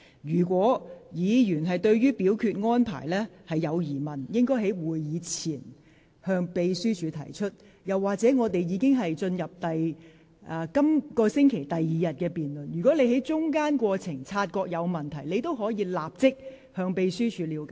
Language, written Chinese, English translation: Cantonese, 議員如對安排有疑問，應於會議前向秘書處提出；再者，本會現已進入本星期第二天的辯論環節，如果你在會議進行期間察覺有問題，可即時向秘書處了解。, If Members have any questions about the arrangements they should raise them with the Secretariat before the meeting . Furthermore now this Council has already entered the debate session of the second day of the meeting this week . If you notice any problem during the meeting you may immediately consult the Secretariat